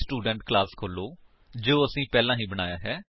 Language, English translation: Punjabi, Let us go back to the Student class we had already created